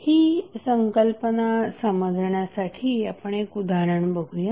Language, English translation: Marathi, Now, let us understand the concept with the help of one example